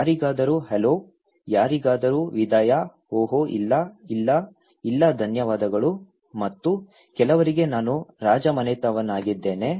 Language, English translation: Kannada, For someone is hello, for someone is goodbye, oh no, no, no thank you and for some people, I am royalty